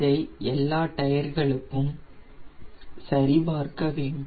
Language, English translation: Tamil, similarly, we check it for all the tires